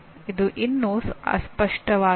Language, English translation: Kannada, This is still vague